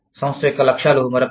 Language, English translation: Telugu, Goals of the organization, is another one